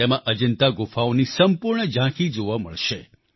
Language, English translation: Gujarati, A full view of the caves of Ajanta shall be on display in this